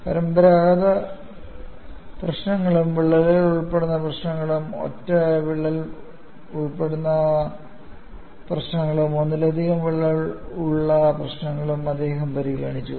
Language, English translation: Malayalam, He solved conventional problems as well as problems involving crack, problems involving single crack as well as multiple cracks